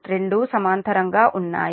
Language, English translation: Telugu, this two are in parallel